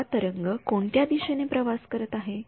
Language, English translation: Marathi, Which wave which direction is this wave traveling